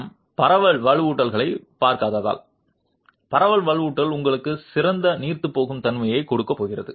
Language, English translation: Tamil, Simply because we are not looking at spread reinforcement is going to give you better ductility